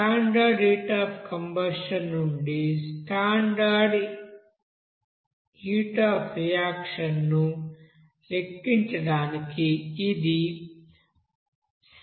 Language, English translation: Telugu, So simple way to calculate that standard heat of reaction from the standard heat of combustion